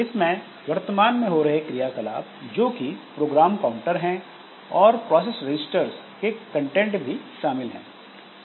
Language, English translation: Hindi, So, it also includes the current activity which is the program counter and the contents of processors registers